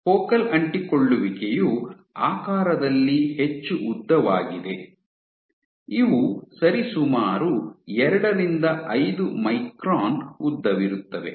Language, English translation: Kannada, Focal Adhesions are more elongated in shape these are roughly 2 5 microns in length